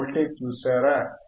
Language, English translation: Telugu, You see the voltage;